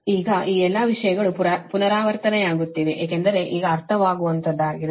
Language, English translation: Kannada, now all this thing are repeating because understandable